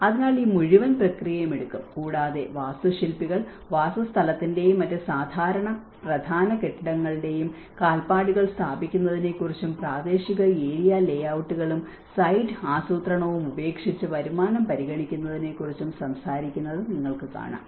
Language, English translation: Malayalam, So, this whole process will take, and even here you can see architects talk about establish the footprints of the dwellings and other typical key buildings and drop local area layouts and site planning and consider income